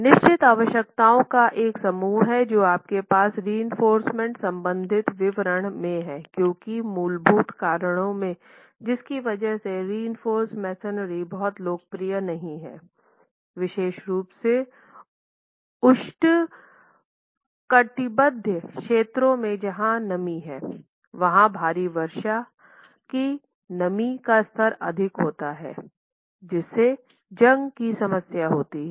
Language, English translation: Hindi, There are a set of requirements that you have as far as reinforcement detailing is concerned because one of the fundamental reasons because of which reinforced masonry is not very popular, particularly in tropical regions where there is moisture, there is heavy rainfall, humidity levels are high, is the problem of corrosion